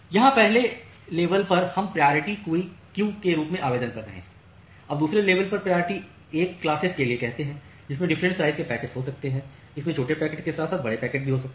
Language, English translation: Hindi, So, here in the first level we are applying say priority queuing, now at the second level say for priority 1 classes, it can have different size packets it can have small packets as well as large packets